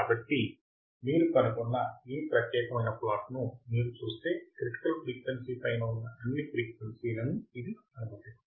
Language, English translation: Telugu, So, if you see this particular plot what we find is that it will allow or it will allow frequencies which are above critical frequencies